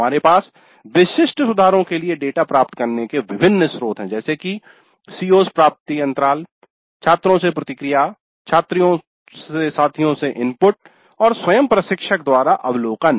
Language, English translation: Hindi, So we have different sources of getting the data for specific improvements, CO attainment gaps, feedback from students, inputs from peers and observation by the instructor herself